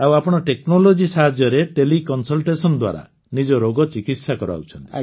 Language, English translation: Odia, And you take help of technology regarding your illness through teleconsultation